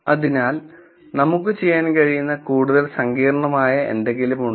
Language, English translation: Malayalam, So, is there something more sophisticated we can do